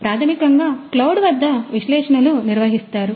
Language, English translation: Telugu, So, So, basically the analytics is performed at the cloud